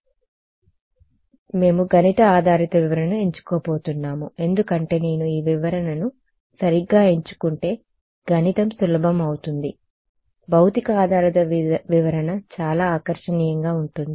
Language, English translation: Telugu, So, we are going to choose the math based interpretation because the math gets easier if I choose this interpretation right, the physic physics based interpretation is very appealing